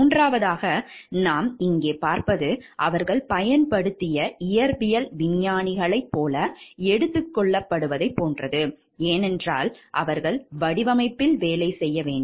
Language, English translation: Tamil, Third what we see over here like they are taken to be like applied physical scientists, because they need to work on the design and find out like how it is working